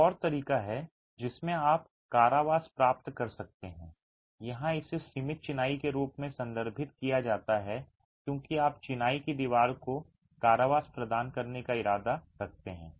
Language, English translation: Hindi, Another way in which you can achieve confinement here it's referred to as confined masonry because you intend to provide confinement to the masonry wall